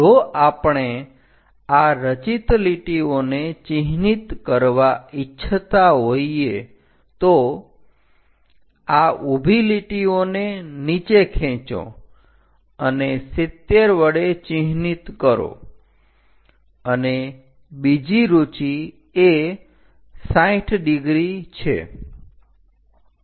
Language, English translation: Gujarati, If we want to mark these construction lines, drop down these vertical lines and mark by arrows 70, and the other inclination is this is 60 degrees